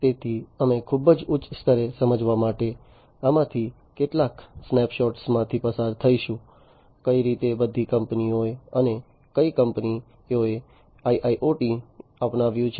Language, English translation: Gujarati, So, you know we will just go through some of these snapshots to understand at a very high level, how which all companies and which all companies have adopted the IIoT, and you know which companies are in the process and so on